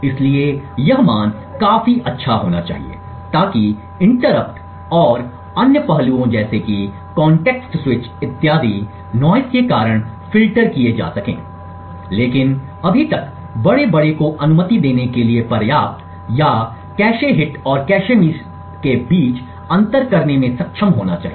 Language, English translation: Hindi, So, this value should be good enough to filter out most of the noise due to interrupts and other aspects like context switches and so on but yet the big large enough to permit or to be able to distinguish between cache hits and cache misses